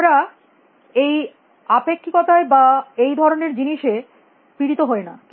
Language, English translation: Bengali, We do not suffer from these effects of relativity and things like that